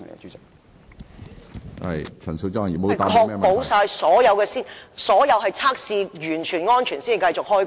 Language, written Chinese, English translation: Cantonese, 主席，當局會否確保所有測試已經完成和安全才讓工人繼續開工。, President will the Administration ensure that workers will only commence to work after all tests have been completed and the safety confirmed?